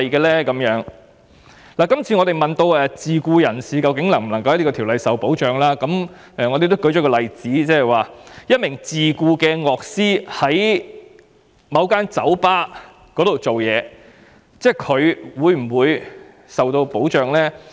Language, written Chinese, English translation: Cantonese, 我們也有問及自僱人士在法例下是否受到保障，而所用的例子是一名在某酒吧工作的自僱樂師是否受到保障。, We have also enquired if self - employed persons are protected under the law and the example used is whether a self - employed musician working in a bar is protected